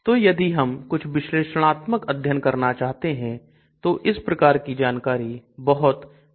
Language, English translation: Hindi, So if I want to do some analysis, studies this type of information is very, very useful